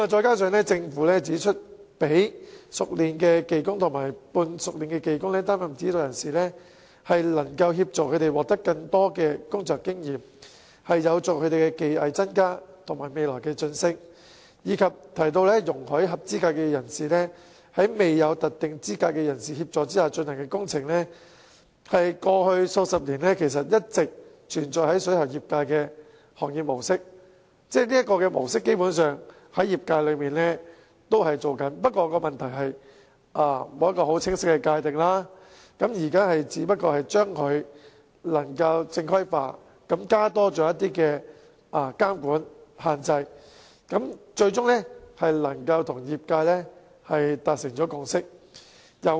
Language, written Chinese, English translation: Cantonese, 此外，政府亦指出，讓熟練技工及半熟練技工擔任指導人士，可以協助他們獲得更多工作經驗，有助他們的技藝增加及未來晉升，並提到容許合資格人士在未有特定資格人士的協助下進行工程，是過去數十年間一直存在於水喉業界的行業模式，業界基本上一直採取這模式，只是過往沒有清晰界定，現在是把做法正規化，加入監管和限制，因此與業界達成最終共識。, Besides the Government has likewise pointed out that assigning skilled workers and semi - skilled workers as supervisors may help them acquire more working experience and in turn enhance their skills and facilitate their future promotion . It has also said that allowing qualified persons to conduct works with the assistance of persons without any specific qualifications is an operational mode which has existed in the plumbing industry over the past few decades and has basically been adopted by the industry all along only that there has not been any express stipulation previously . It has asserted that it now seeks to regularize this practice by introducing regulation and restrictions